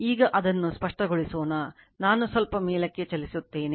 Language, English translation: Kannada, Now, let me clear it let me move little bit up right